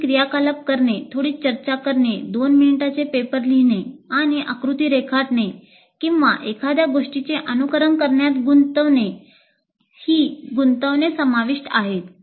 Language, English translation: Marathi, Doing some activity, doing some discussion, writing a two minute paper, or drawing a diagram, or simulating something